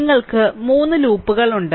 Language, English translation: Malayalam, So, you have 3 you are 3 loops